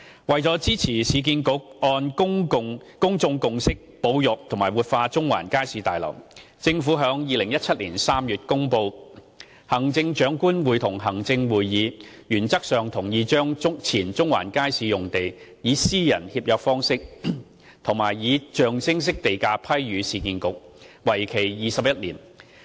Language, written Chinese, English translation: Cantonese, 為支持市建局按公眾共識保育和活化中環街市大樓，政府在2017年3月公布行政長官會同行政會議原則上同意將前中環街市用地，以私人協約方式及象徵式地價批予市建局，為期21年。, To support URA in preserving and revitalizing the Central Market Building in accordance with public consensus the Government announced in March 2017 that the Chief Executive in Council had approved in principle that the site of the former Central Market be granted to URA by private treaty at a nominal land premium for a term of 21 years